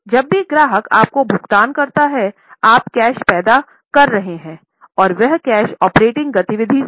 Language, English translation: Hindi, Whenever the customer pays you, you are generating cash and that cash is from operating activity